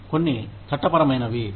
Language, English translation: Telugu, Some of the legal